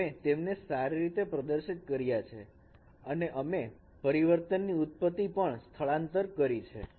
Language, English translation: Gujarati, So, we have made them displayable and also we have shifted the origin of the transformation space